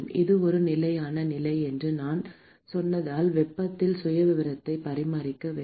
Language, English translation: Tamil, Because I said it is a steady state condition, the temperature profile has to be maintained